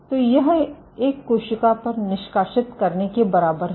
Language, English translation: Hindi, So, this is equivalent of sacking on a cell